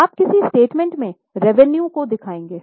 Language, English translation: Hindi, In which statement will you show the revenue